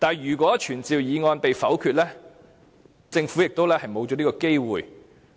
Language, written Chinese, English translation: Cantonese, 如果傳召議案被否決，政府也失去這個機會。, If the motion is negatived the Government also loses this opportunity